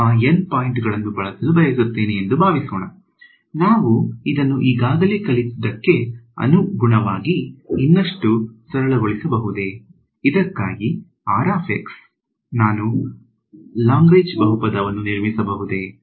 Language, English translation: Kannada, I have so, supposing I want to use those N points, can I write this can I simplify this further in terms of what we already learnt, can I can I construct a Lagrange polynomial for r x